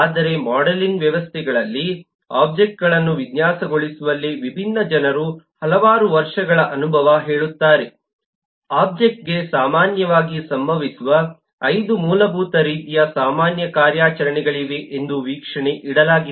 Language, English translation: Kannada, but several years of experience eh of different eh people in designing objects, in modeling systems, have eh laid to the observation that there are 5 basic types of common operations that usually happen for an object